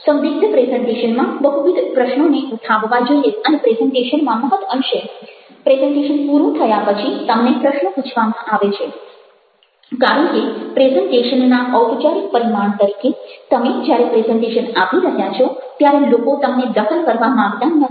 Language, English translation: Gujarati, ambiguous presentations will give raise to multiple questions and when, very often in presentations, after the presentation is over, you are asked questions because, as for the formal dimension of their presentation, you people are not supposed to disturb you when you are making the presentation, but once you have made the presentation, people will start asking questions